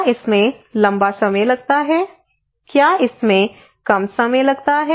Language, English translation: Hindi, Does it take a long time, does it take short time okay